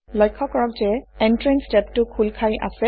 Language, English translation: Assamese, Notice that the Entrance tab is open